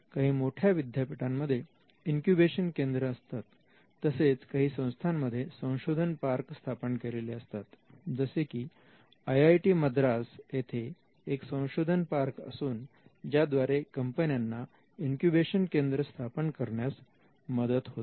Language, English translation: Marathi, You in bigger universities, they could also be incubation cell and they could also be research park like the Indian Institute of Technology, Madras has a research park which helps companies to set up an incubate as well